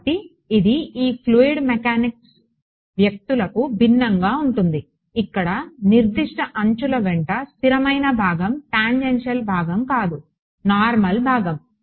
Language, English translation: Telugu, So, this is in contrast to these fluid mechanics people where there constant component along of certain edges not the tangential part, but the normal thing